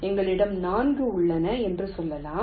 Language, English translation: Tamil, let say we have, there are four